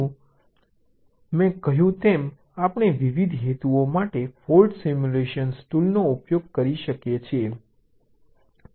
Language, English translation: Gujarati, so, as i said, we can use the fault simulation tool for various purposes